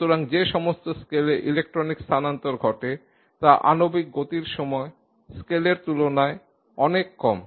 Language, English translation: Bengali, Therefore the time scale in which the electronic transition takes place is so much less compared to the time scale of molecular motion